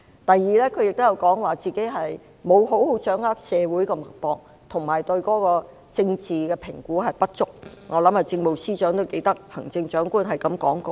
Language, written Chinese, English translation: Cantonese, 第二，她說沒有好好掌握社會脈搏及對政治評估不足，我相信政務司司長都記得行政長官是這樣說的。, Secondly she said that she did not have a good grasp of the social pulse and her political assessment was insufficient . I believe the Chief Secretary for Administration remembers what the Chief Executive said